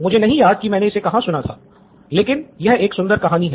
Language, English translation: Hindi, I don’t know where I heard it but it’s a beautiful story